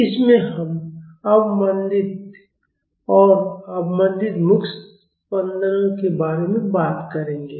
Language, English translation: Hindi, In this, we will talk about undamped and damped free vibrations